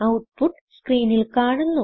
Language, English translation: Malayalam, The output is displayed on the screen